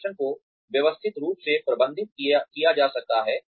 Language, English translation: Hindi, The performance can be systematically managed